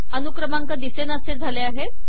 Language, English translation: Marathi, Serial numbers have disappeared